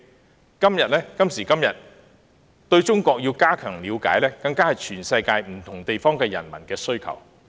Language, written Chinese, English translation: Cantonese, 有鑒於此，加強對中國的了解，亦是全世界不同地區人民在今時今日所應做的事。, In view of this what people in different parts of the world should do today is to enhance their understanding of China